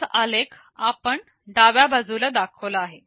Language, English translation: Marathi, We show that same plot on the left